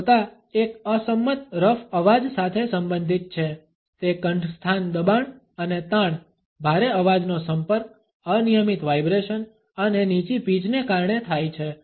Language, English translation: Gujarati, Harshness is related with a disagreeable rough voice it is caused by laryngeal strain and tension, extreme vocal fold contact, irregular vibration and low pitch